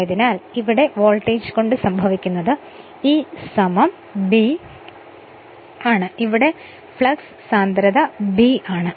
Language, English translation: Malayalam, Therefore, what will happen because of that a voltage E is equal to B into this the flux density B